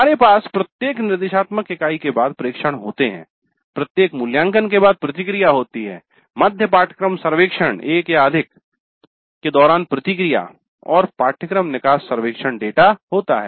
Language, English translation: Hindi, So we have observations after every instruction unit, then feedback after every assessment, then feedback during mid course surveys one or more, then the course exit survey data